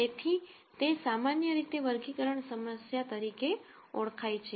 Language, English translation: Gujarati, So, that is typically what is called as classification problem